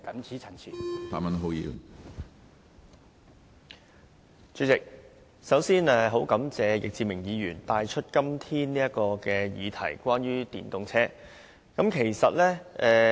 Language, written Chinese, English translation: Cantonese, 主席，我首先感謝易志明議員今天提出有關電動車的議題。, President I first wish to thank Mr Frankie YICK for bringing up the issue of electric vehicles EVs today